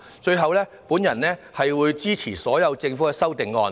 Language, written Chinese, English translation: Cantonese, 最後，我會支持政府所有的修正案。, Hence I speak in support of all the amendments proposed by the Government